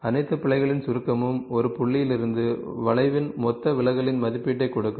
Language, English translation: Tamil, The summation of all the errors will give an estimate of the total deviation of the curve from the points